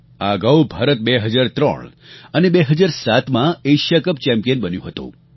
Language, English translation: Gujarati, India had earlier won the Asia Cup in Hockey in the years 2003 and 2007